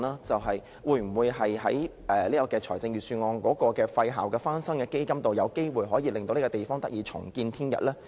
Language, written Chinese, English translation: Cantonese, 但是，我們當然寄望，在財政預算案的"廢校翻新基金"會令這個地方得以重見天日。, But we certainly hope that the fund reserved in the Budget for restoring idle school premises will restore this place